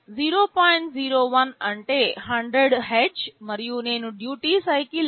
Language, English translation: Telugu, 01 means 100 Hz, and I am specifying the duty cycle as 0